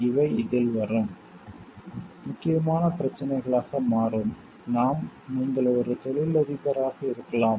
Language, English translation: Tamil, These will becomes in this will become important issues when you are going to maybe as an entrepreneurs